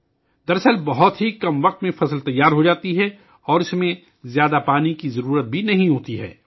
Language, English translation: Urdu, In fact, the crop gets ready in a very short time, and does not require much water either